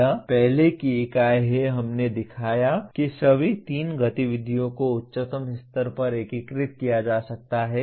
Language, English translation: Hindi, That is earlier unit we showed that all the three activities can be integrated at the highest level